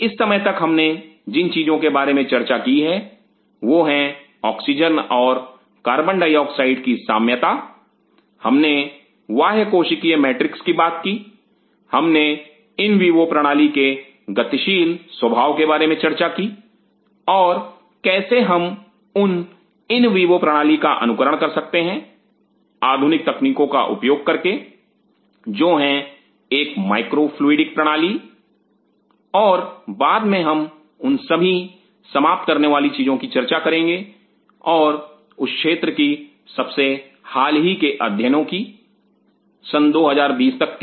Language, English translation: Hindi, As of now what all things we have talked about is the Oxygen and Carbon dioxide milieu we have talked about the extracellular matrix, we have talked about the dynamic nature of in vivo system and how we can emulate that in vivo system using the modern technology is a micro fluidic system and we will be talking later about all those end up detail and the most recent studies in that area till 20 20 20 20 17